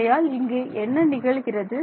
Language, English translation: Tamil, So, this is this is what is happening